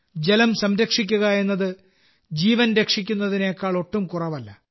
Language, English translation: Malayalam, Conserving water is no less than saving life